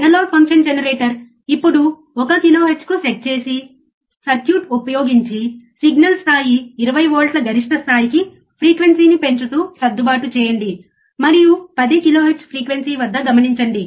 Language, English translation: Telugu, Using the circuit set analog function generator to 1 kilohertz now using the circuit adjust the signal level 20 volts peak to peak increase the frequency and watch the frequency somewhere about 10 kilohertz